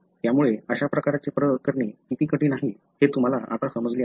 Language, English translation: Marathi, So, you can understand now, how difficult it is to carry outthis kind of experiments